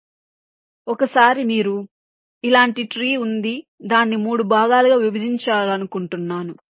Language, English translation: Telugu, so once you have a tree like this, suppose i want to divide it up into three parts